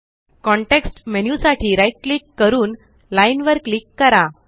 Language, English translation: Marathi, RIght click for the context menu and click Line